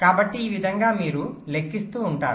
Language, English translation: Telugu, so in this way you go on calculating